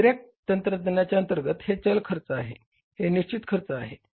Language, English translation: Marathi, Under another technology, this is a variable cost, this is a fixed cost